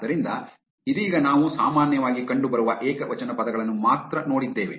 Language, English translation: Kannada, So, right now we have looked at only singular words that are appearing most commonly